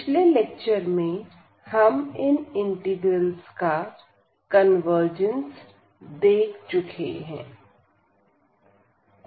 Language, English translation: Hindi, And, in the last lecture we have already seen the convergence of those integrals